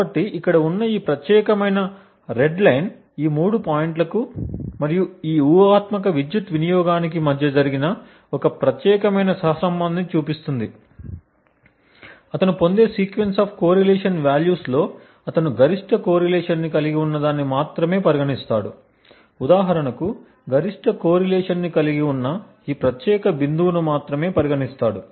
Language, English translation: Telugu, So, this particular red line over here shows one particular correlation that has been done between these three points and this hypothetical power consumption, among the sequence of correlation values that he obtains, he only considers that which has the maximum correlation, so he considers only that particular point for example say this point which has the maximum correlation